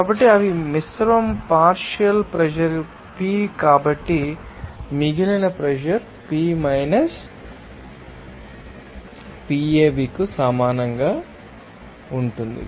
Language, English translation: Telugu, So, they are mixture partial pressure is p so remaining pressure that will be equal to P – Pav